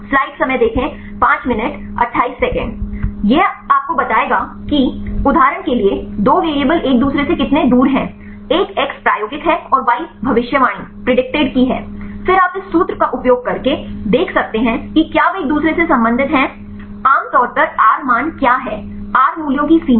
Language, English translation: Hindi, This will tell you how far the two variables are related with the each other for example, one is x experimental and y is a predicted; then you can use this formula to see whether they are related with the each other; what is normally the r value; the range of r values